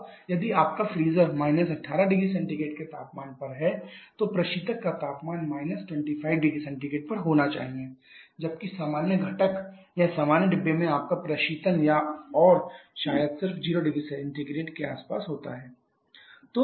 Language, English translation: Hindi, Now if your freezer is at a temperature of 18 degree Celsius then the refrigerant needs to be at a temperature of say 25 degree Celsius whereas in the normal component or normal compartment rather you refrigeration and maybe just around 0 degree Celsius